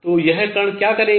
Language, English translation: Hindi, So, what will this particle do